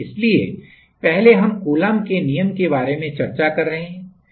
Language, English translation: Hindi, So, first we have discussing about Coulombs law